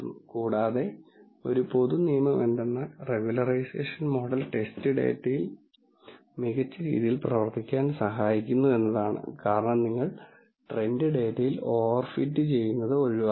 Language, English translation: Malayalam, And one general rule is regularization helps the model work better with test data because you avoid over fitting on the train data